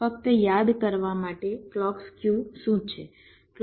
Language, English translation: Gujarati, just to recall what is clock skew